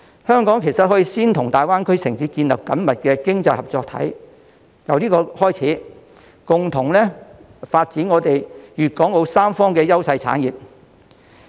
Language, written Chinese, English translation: Cantonese, 香港其實可以先與大灣區城市建立緊密的經濟合作體，進而共同發展粵港澳三方的優勢產業。, In fact Hong Kong can establish close economic cooperation with the cities in the Greater Bay Area first and then jointly develop the industries with competitive edge in Guangdong Hong Kong and Macao